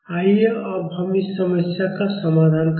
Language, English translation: Hindi, Now let us solve this problem